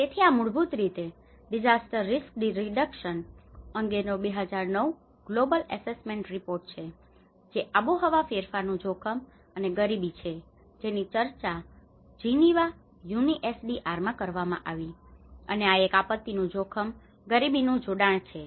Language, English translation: Gujarati, So this is the basically the 2009 global assessment report on disaster risk reduction, which is risk and poverty in climate change which has been discussed in Geneva UNISDR and this is a disaster risk poverty nexus